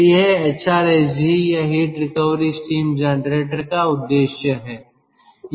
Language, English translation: Hindi, so this is the purpose of ah, hrsg or heat recovery steam generator